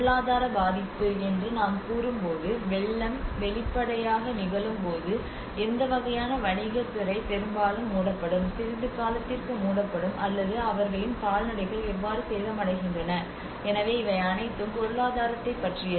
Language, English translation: Tamil, And the economic vulnerability: When we say economic vulnerability, when the flood happens obviously what kind of business sector often closes down, shuts down for a period of some time and or how their livestock gets damaged so this is all about the economical